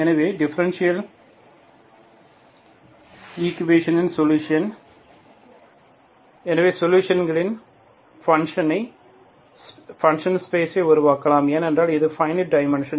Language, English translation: Tamil, Therefore solution of the differential equation is, so the solutions can be from a space of functions, for that is infinite dimension